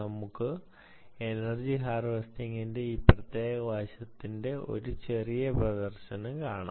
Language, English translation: Malayalam, let us go directly and see a small demonstration of this particular aspect of energy harvesting